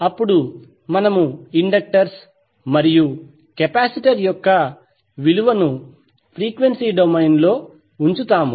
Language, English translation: Telugu, And then we will put the value of the inductors and capacitor, in frequency domain